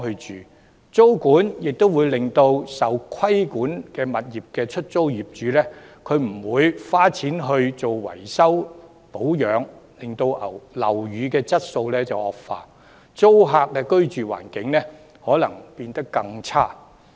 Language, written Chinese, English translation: Cantonese, 此外，租管會令受規管物業的業主不願花錢維修保養單位，令樓宇質素惡化，租戶的居住環境可能變得更差。, In addition tenancy control will make landlords of the regulated properties unwilling to spend money on maintenance of their flats worsening the quality of the properties and possibly the living environment of tenants as well